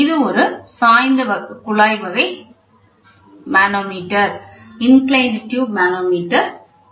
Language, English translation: Tamil, So, this is an inclined type tube type manometer